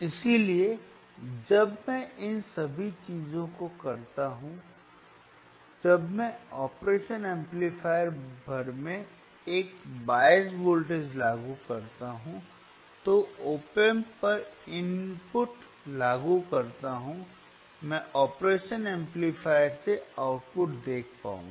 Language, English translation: Hindi, So, when I do all these things, when I apply bias voltage across operation amplifier, apply the input at the op amp, I will be able to see the output from the operation amplifier is what we will do today